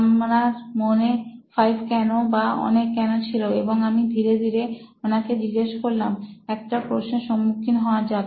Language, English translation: Bengali, So I had 5 Whys in mind, the multi Whys in mind, so I took him down slowly and I asked him, so let’s face a question